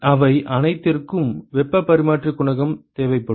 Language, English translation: Tamil, You will require heat transfer coefficient for all of them